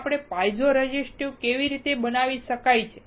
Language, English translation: Gujarati, Now, how we can make it piezo resistive